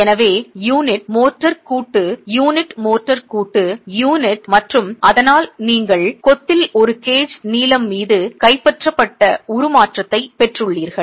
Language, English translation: Tamil, So, unit, motor joint, unit, motor joint unit, and so you have got the deformation being captured over a gauge length in the masonry